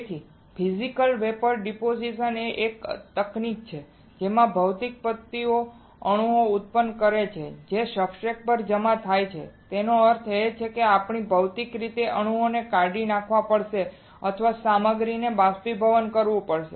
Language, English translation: Gujarati, So, Physical Vapor Deposition is a technique right in which physical methods produce the atoms that deposit on the substrate; that means, we have to physically dislodge the atoms right or vaporize the material